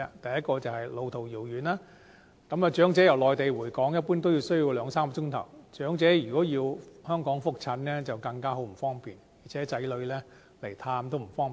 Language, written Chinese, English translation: Cantonese, 第一，是路途遙遠，長者由內地回港，一般需要兩三小時，如果長者要在香港覆診則更為不便，而且子女探望也不方便。, Generally speaking it will take two to three hours for them to return to Hong Kong from the Mainland . Elderly persons will suffer from greater inconvenience if they need follow - up medical consultations in Hong Kong . Their children may also find it inconvenient to visit them